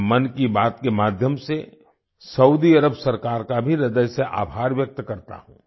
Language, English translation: Hindi, Through Mann Ki Baat, I also express my heartfelt gratitude to the Government of Saudi Arabia